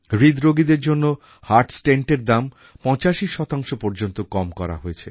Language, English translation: Bengali, The cost of heart stent for heart patients has been reduced to 85%